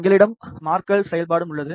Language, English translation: Tamil, We also have a marker functionality